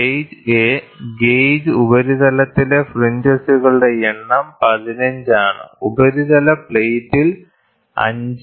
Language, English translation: Malayalam, Gauge A, the number of fringes on the gauge surface is 15, and that on the surface plate is 5